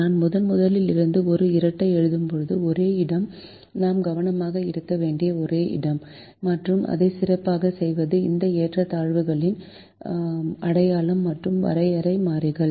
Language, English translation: Tamil, the only place when we actually write a dual from the primal, the only place where we have to be careful and do it well, is the sign of these inequalities that we have, as well as the definition of the variables